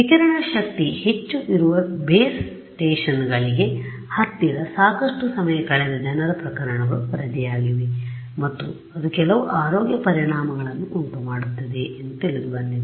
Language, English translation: Kannada, There are reported cases of people whose have spent a lot of time close to base stations where the radiated power is much higher and that has known to cause some health effects that is another thing